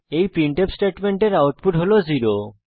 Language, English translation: Bengali, This printf statements output is 0